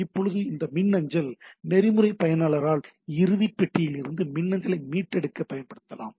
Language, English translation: Tamil, Now this mail access protocol can be used by the user to retrieve the email from the mailbox